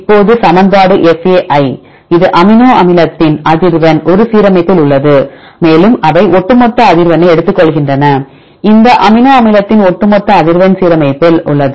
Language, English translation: Tamil, Now, the equation is fa this is the frequency of amino acid a right in the alignment and they take the overall frequency there is fa overall frequency of this amino acid a in the alignment